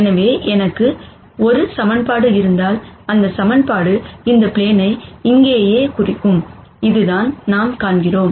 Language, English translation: Tamil, So, if I have one equation, that equation itself would represent this plane right here ; which is what we see